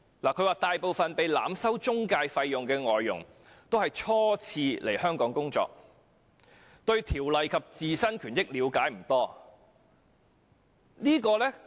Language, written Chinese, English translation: Cantonese, 他表示大部分被濫收中介費的外傭均是初次來港工作，對相關條例及自身權益了解不多。, According to him most foreign domestic helpers overcharged by intermediaries are on their first appointment to Hong Kong with limited knowledge of the relevant law and their own rights and interests